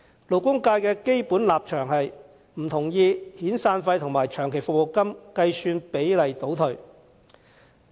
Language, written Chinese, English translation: Cantonese, 勞工界基本上不同意遣散費和長期服務金的計算比例倒退。, The labour sector basically disapproves of the retrogression in the calculation ratio of the severance and long service payments